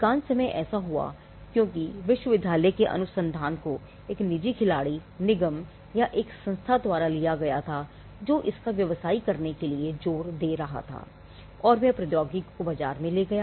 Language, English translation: Hindi, Now, most of the time this happened because the university research was taken by a private player corporation or an institution which was insisted in commercializing it and took the technology to the market